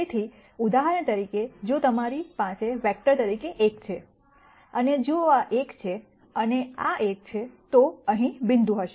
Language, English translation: Gujarati, So, for example, if you have let us say 1 as your vector, and if this is one and this is one, then the point will be here and so on